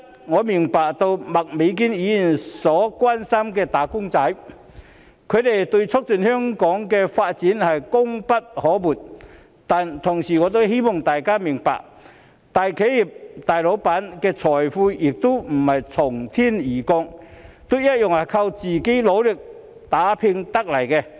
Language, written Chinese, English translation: Cantonese, 我明白到麥美娟議員所關心的"打工仔"對促進香港的發展功不可沒，但我同時希望大家明白，大企業、大老闆的財富亦不是從天而降的，同樣都是靠自己努力打拼得來的。, I understand Ms Alice MAKs concern about wage earners who have contributed a lot to the development of Hong Kong but I also hope that we can understand that the fortunes of big companies and big bosses do not come from heaven but are earned by their hard work